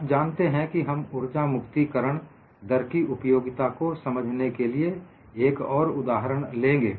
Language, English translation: Hindi, And we will also take up another example to see the utility of energy release rate